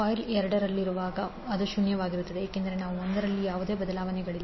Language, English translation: Kannada, While in coil 2, it will be zero because there is no change in I 1